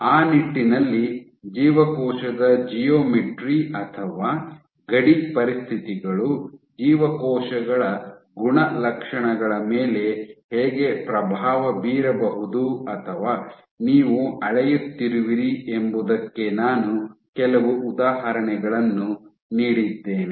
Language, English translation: Kannada, And in that regard, I also gave a few instances of how geometry of the cell or boundary conditions might influence the properties of cells or what you are measuring